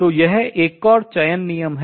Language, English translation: Hindi, So, this is another selection rule